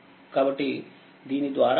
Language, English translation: Telugu, So, if you go through this